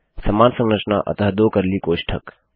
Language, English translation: Hindi, The same structure so two curly brackets